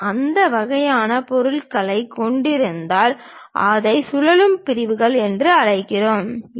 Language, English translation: Tamil, If we are having that kind of objects, we call that as revolve sections